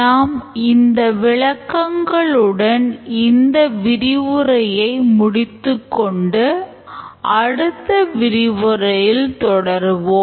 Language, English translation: Tamil, We'll stop at this point and we'll continue in the next lecture